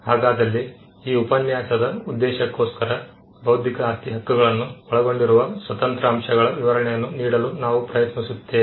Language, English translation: Kannada, But for the purpose of this lecture, we will try to explain the independent ingredients that constitute intellectual property rights